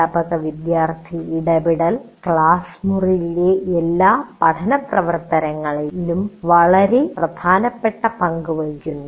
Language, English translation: Malayalam, And teacher student interaction plays a very important role in all learning activities in the classroom